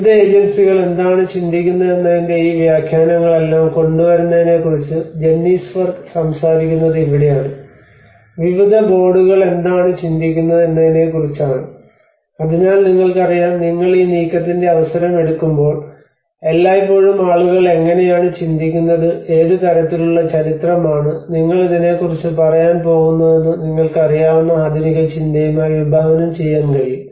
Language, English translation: Malayalam, So this is where the Jennies work talks about bringing all these interpretations of what different agencies are thinking what the government is thinking is about what different boards are thinking about you know so and when you are taking an opportunity of the move always people think about how we can envisage with the modern thinking you know how what kind of history you are going to tell about it